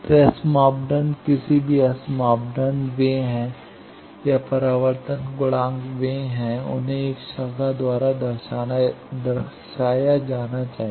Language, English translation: Hindi, So, S parameters, any S parameter, they are, or reflection coefficient, they are, they should be represented by a branch